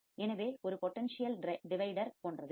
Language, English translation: Tamil, So, this is like a potential divider